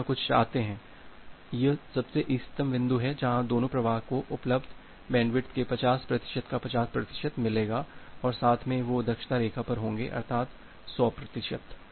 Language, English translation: Hindi, We want something here this is the optimal point where both the flows will get 50 percent of the 50 percent of the available bandwidth and together they will on the efficiency line that means the 100 percent